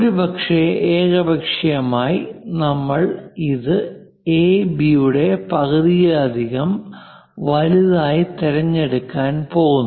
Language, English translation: Malayalam, Perhaps arbitrarily, we are going to pick this one as the greater than half of AB